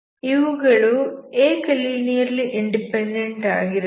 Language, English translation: Kannada, Why they are linearly independent